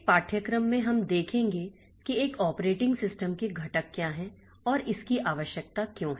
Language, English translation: Hindi, So, in this course we will see what are the components of an operating system and why is it needed